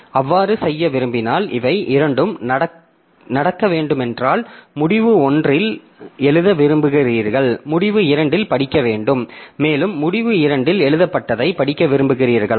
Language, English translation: Tamil, So, if you want to, so if you want both of this to happen, that is you want to write at end one and read at n2 and also whatever is written at n2 you want to read it at end one